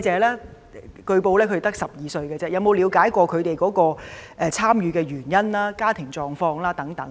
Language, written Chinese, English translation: Cantonese, 據說有關的被捕人士只有12歲，局長有否了解他們參與示威的原因和家庭狀況？, As it has been reported that the youngest arrestees are only 12 years of age has the Secretary tried to gain an understanding of the reasons behind their participation in street protests and their family background?